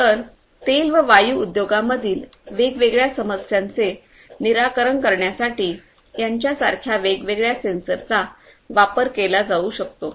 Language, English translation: Marathi, So, this is just an example like this different different sensors could be used to solve different problems in the oil and gas industry